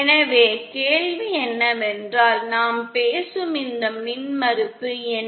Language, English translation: Tamil, So the question is what is this impedance that we are talking about